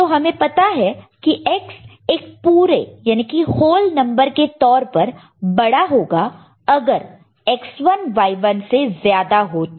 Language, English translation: Hindi, Now, we know that X as a whole the number will be greater than Y, if X 1 is greater than Y 1, isn't it